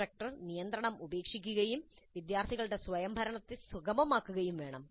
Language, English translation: Malayalam, Instructor must relinquish control and facilitate student autonomy